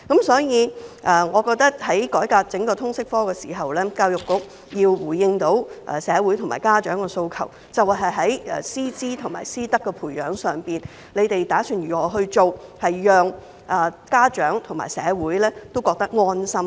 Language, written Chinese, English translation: Cantonese, 所以我認為，在改革整個通識科的時候，教育局要回應社會和家長的訴求，表示在師資和師德的培養上打算怎樣做，讓家長和社會覺得安心。, Therefore in my opinion when undertaking the total reform of the LS subject EDB should respond to the aspirations of the community and parents by indicating what it intends to do about the development of teachers qualifications and ethics so that parents and the community can feel at ease